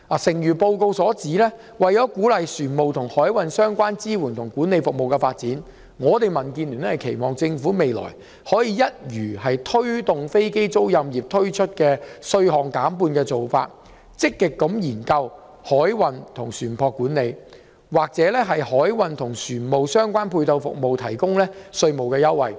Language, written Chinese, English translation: Cantonese, 誠如報告所言，為了鼓勵船務和海運相關支援及管理服務的發展，民主建港協進聯盟期望政府未來可以採取一如它為推動飛機租賃業而推出稅項減半的做法，積極研究就海運、船舶管理和船務相關配套服務提供稅務優惠。, As stated in this latest report in order to encourage the growth of shipping and maritime - related support and management services the Democratic Alliance for the Betterment and Progress of Hong Kong DAB expects the Government to apply a similar measure of halving the tax rate applicable to the aircraft leasing industry to the marine industry as well . The Government should actively look into the provision of tax concessions to marine services ship management and shipping - related services